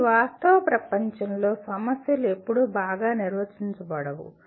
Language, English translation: Telugu, But in real world problems are never that well defined